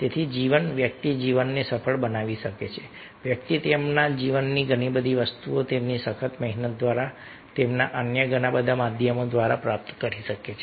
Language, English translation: Gujarati, so life, one can make the life successful, one can achieve lot, many things in their life through their hard work through their ah, many other means